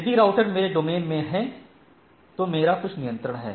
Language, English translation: Hindi, It if it is the router is in my domain then I have some control